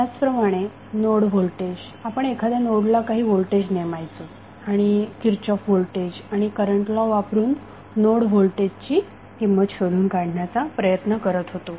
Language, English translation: Marathi, Similarly, a node voltage we were assigning voltage at the node and using Kirchhoff’s voltage and current law we were trying to identify the node voltage value